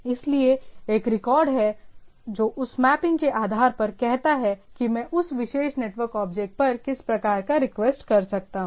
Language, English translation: Hindi, So there there is a record which says based on that mapping that what sort of request I can map to that particular network object